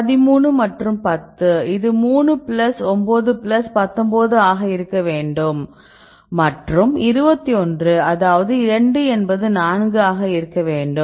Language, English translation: Tamil, So, 14 and 17 this should be around 9 plus 19, 13 and 10 right this will be 3 this plus 9 plus 19 and 21 that is 2 that is around 4 right